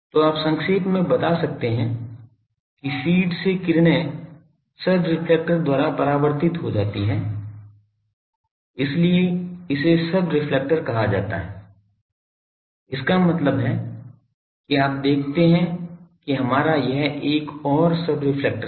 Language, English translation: Hindi, So, you can summarise that rays from feed gets reflected by the subreflector so, this one is called subreflector; that means you see that our this is another subreflector